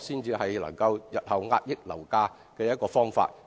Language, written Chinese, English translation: Cantonese, 這才是日後遏抑樓價的方法。, Only through this can property prices be suppressed in future